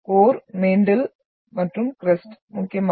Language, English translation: Tamil, Core, mantle and crust mainly